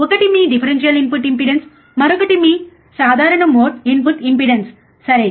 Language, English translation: Telugu, One is your differential input impedance, another one is your common mode input impedance alright